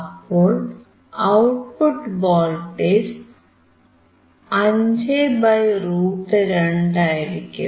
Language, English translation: Malayalam, So, the output voltage would be (5 / √2)